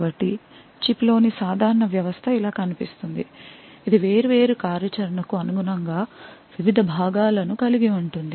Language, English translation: Telugu, So, a typical System on Chip would look like something like this it could have various components corresponding to the different functionality